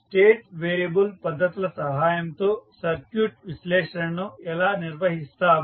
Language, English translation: Telugu, How we will carry out the circuit analysis with the help of state variable methods